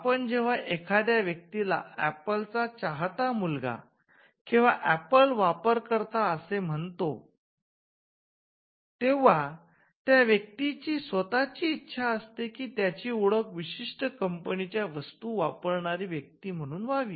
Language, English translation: Marathi, For instance, when we refer to a person as an Apple fan boy or a person who uses only Apple products then, the person wants himself to be identified as a person who uses a particular product